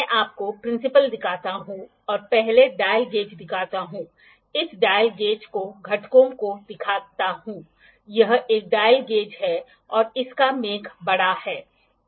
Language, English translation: Hindi, I show you the principle plus first let us see the dial gauge, the components of this dial gauge, this is a dial gauge and its make is bigger